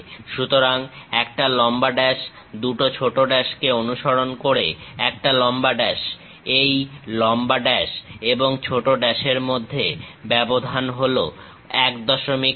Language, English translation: Bengali, So, a long dash, small two dashes followed by long dash; the gap between these long dash and short dash is 1